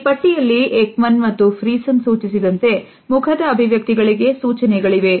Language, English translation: Kannada, In this list we find that there are cues for facial expressions as suggested by Ekman and Friesen